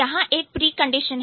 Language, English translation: Hindi, So, there is a precondition